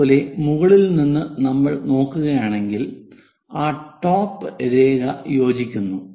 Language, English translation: Malayalam, Similarly, from top if we are looking, that top line coincides